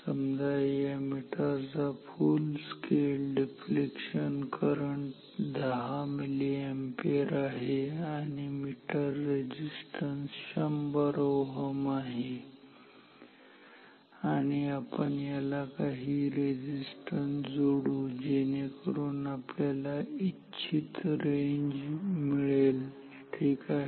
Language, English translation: Marathi, So, this is the meter with FSD, 10 milli ampere meter resistance 100 ohm and we will connect some resistance to get the desired range ok